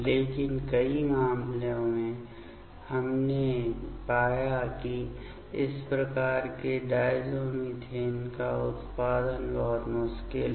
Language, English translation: Hindi, But, in lots of cases we found the generation of this type of diazomethane is very tricky